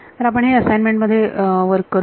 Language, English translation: Marathi, So, we will work this out in an assignment